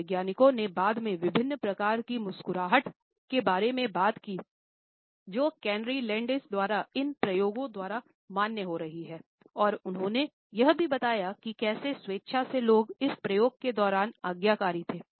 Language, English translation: Hindi, Psychologists later on talked about the different types of a smiles which has been in a validated by these experiments by Carney Landis and they also talked about how willingly people had been obedient during this experiment going to certain extent in order to follow the instructions